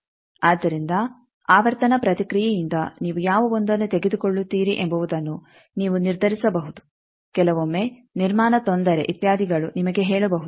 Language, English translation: Kannada, So, from frequency response you can decide which 1 you will take also sometimes construction difficulty etcetera can tell you